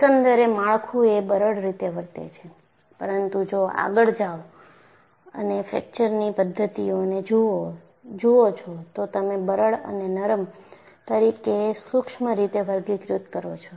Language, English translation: Gujarati, The structure as a whole, still behaves in a brittle fashion, but if you go and look at the mechanisms of fracture, you classify in a certain fashion as brittle and ductile